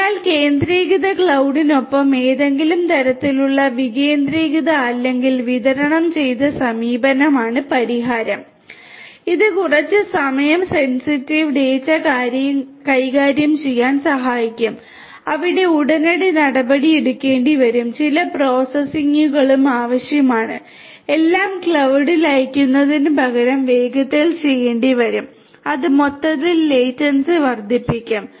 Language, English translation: Malayalam, So, the solution is to have some kind of a decentralized or distributed approach along with the centralized cloud, which will help in handling some time sensitive data, where immediate actions will have to be taken some quicker responses will have to be taken and some processing will have to be done faster instead of sending everything at the cloud which will overall increase the latency